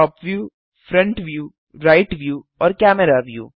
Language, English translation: Hindi, Top view, Front view, Right view and Camera view